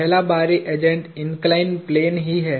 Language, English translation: Hindi, The first external agent is the inclined plane itself